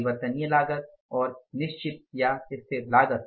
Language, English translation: Hindi, Fix cost remains the fixed